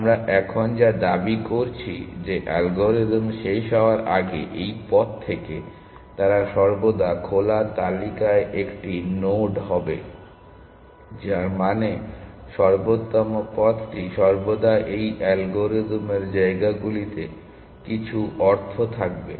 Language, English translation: Bengali, What we are claiming now that from this path before the algorithm terminates, they would always be one node in the open list, which means the optimal path will always be in the sites of this algorithm in some sense